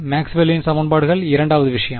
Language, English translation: Tamil, Maxwell’s equations second thing is